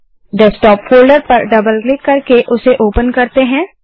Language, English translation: Hindi, Lets open the Desktop folder by double clicking